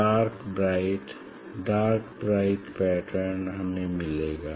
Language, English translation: Hindi, dark b dark b pattern we will get